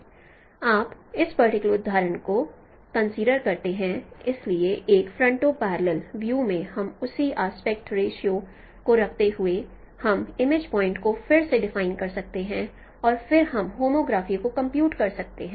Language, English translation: Hindi, So in a foreign to parallel view, we by keeping the same aspect ratio we can redefine the image points and then we can compute the homographic